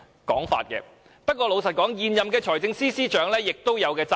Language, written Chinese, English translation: Cantonese, 但是，坦白說，現任財政司司長對此亦有責任。, However frankly speaking the incumbent Financial Secretary should also be held responsible